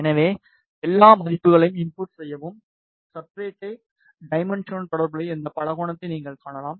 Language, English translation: Tamil, So, just enter all the values, and you can see this polygon created corresponding to the substrate dimension